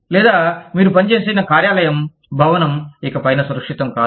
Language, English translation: Telugu, Or, the workplace, the building, that you worked in, is no longer safe